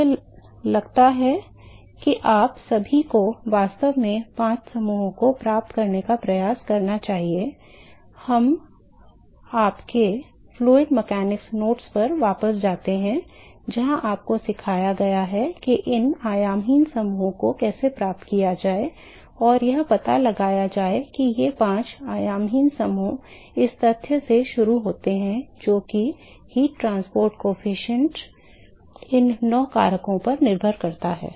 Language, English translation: Hindi, I think all of you should actually try to get the five groups, we go back to your fluid mechanics notes where you have been taught what how to derive these dimensionless groups and find out what these five dimension less groups are from starting from the fact that the heat transport coefficient depends upon these nine factors here ok